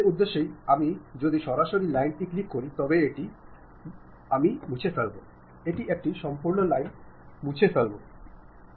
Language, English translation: Bengali, For that purpose, if I just straight away click that line, delete it, it deletes complete line